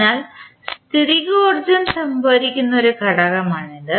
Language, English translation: Malayalam, So, it is considered to be an element that stores potential energy